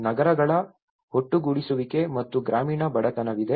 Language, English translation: Kannada, There is an urban agglomeration as well as the rural poverty